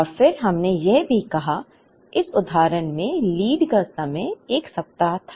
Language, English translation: Hindi, And then we also said that, the lead time was 1 week in this example